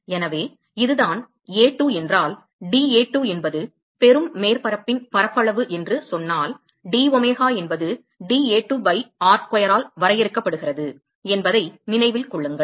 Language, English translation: Tamil, So, keep in mind that if this is A2, if let us say that dA2 is the area of the receiving surface then domega is defined by dA2 by r square